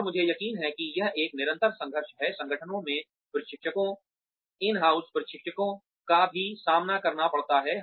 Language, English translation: Hindi, And, I am sure that this is a constant struggle, that trainers, in house trainers in organizations, also face